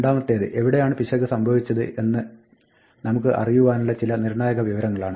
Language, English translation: Malayalam, Secondly, there is some diagnostic information telling us where this error occurs